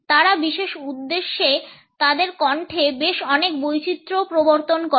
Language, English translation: Bengali, They also introduce quite a lot of variation into their voices for particular purposes